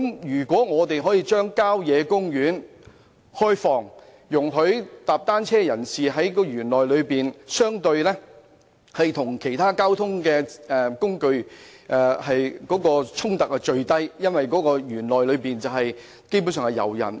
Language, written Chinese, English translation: Cantonese, 如果我們可以開放郊野公園，容許遊人在園內踏單車，與其他交通工具的衝突便會減至最低，因為園內基本上以遊人為主。, If we can open up country parks to visitors for cycling conflicts with other modes of transport will be minimized because those inside the parks are mainly visitors